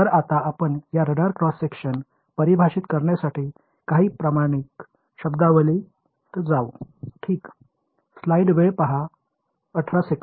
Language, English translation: Marathi, So, now let us get into some standard terminology for defining this radar cross section ok